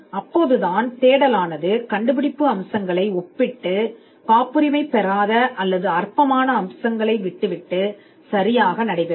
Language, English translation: Tamil, So, that the search is done comparing the inventive features and leaving out the non patentable or the trivial features